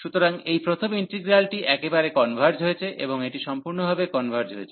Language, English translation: Bengali, So, this first integral this is converges absolutely this converges converges absolutely